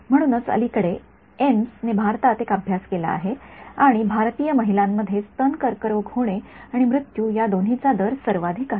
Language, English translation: Marathi, So, there was a study done by AIIMS in India very recently and the rated breast cancer is having the highest rate of both incidence and mortality amongst Indian woman